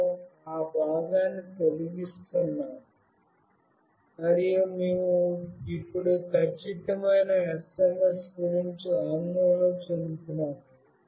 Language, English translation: Telugu, We are removing that part, and we are now concerned about the exact SMS